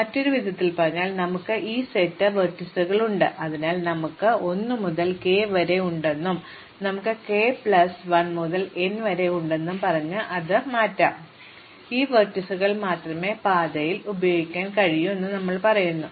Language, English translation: Malayalam, In other words, we have this set of vertices V, so we cut it off saying we have 1 to k and we have k plus 1 to n, we say that only these vertices can be used in the path